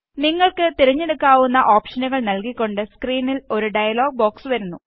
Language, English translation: Malayalam, A dialog box appears on the screen giving you options to select from